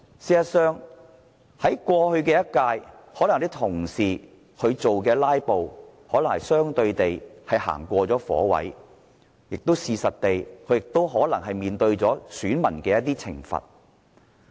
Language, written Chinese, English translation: Cantonese, 事實上，在過去一屆的立法會，有些同事"拉布"可能是相對地過了火，他們亦可能已面對選民的一些懲罰。, In fact in the last term of the Legislative Council some Members might have crossed the line when they filibustered and they might have somehow been punished by their voters . The situation seemed to turn better in the current term of the Legislative Council